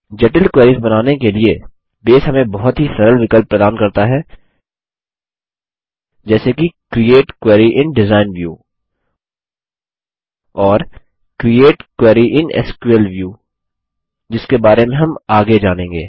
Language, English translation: Hindi, For creating complex queries, Base provides us with very handy options such as Create Query in Design View and Create Query in SQL view, which we will learn about later